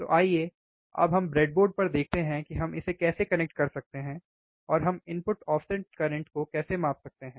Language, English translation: Hindi, So, let us see now on the breadboard, how we can connect this and how we can measure the input offset current all right